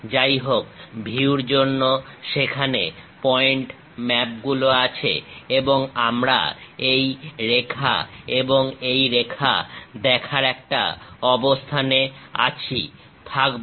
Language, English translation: Bengali, However, because of view, this point maps there and we will be in a position to see this line and also this one